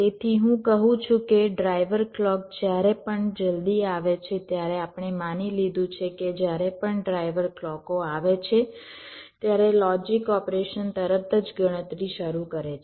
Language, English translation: Gujarati, so what i am saying is that whenever the driver clock comes so earlier we have assumed that whenever the driver clocks come, the logic operation start calculating immediately